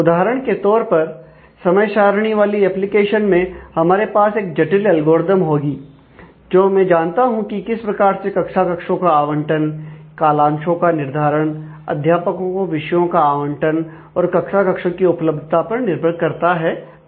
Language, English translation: Hindi, For example, in the time table application we will have a complex algorithm, I know to find out what allocation of class rooms and slots, are feasible for assignments of teachers to courses availability of rooms and so on